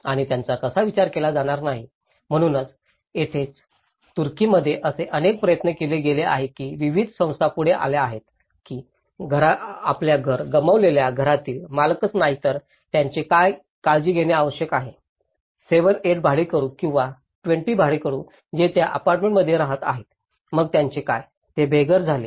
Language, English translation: Marathi, And how they are not to be considered, so that is where in Turkey, there have been some efforts why various agencies have come forward that yes, we also need to take care of these not only the house owners who lost the house but what about 7, 8 tenants or 20 tenants who are living in that apartment, so what about them, who becomes homeless